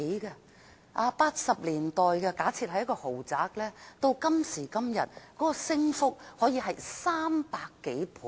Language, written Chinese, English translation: Cantonese, 假設在1980年代的一個豪宅，至今的升幅可高達300多倍。, For a luxurious apartment bought in the 1980s its price can be increased by as much as over 300 times